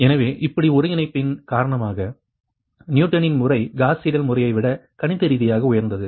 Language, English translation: Tamil, so because of quadratic convergence, newtons method is mathematically superior to the gauss seidel method